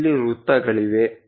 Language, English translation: Kannada, Here there are circles